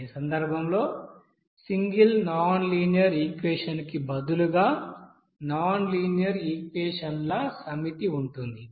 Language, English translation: Telugu, In this case, there will be a set of nonlinear equation instead of single nonlinear equation